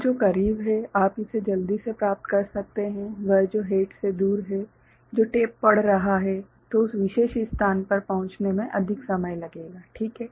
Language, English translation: Hindi, So, the one which is closer, you can fetch it quickly, the one that is farther from the head which is reading the tape then it will take more time to reach that particular location ok